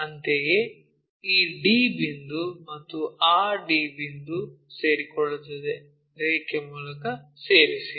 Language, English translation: Kannada, Similarly, d point this one and this d point coincides, so join by line